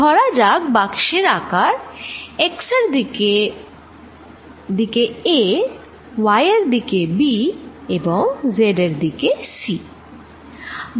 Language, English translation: Bengali, Let the size of the box be a in the x direction, b in the y direction and c in the z direction